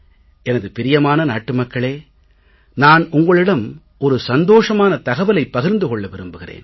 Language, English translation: Tamil, My dear countrymen I want to share good news with you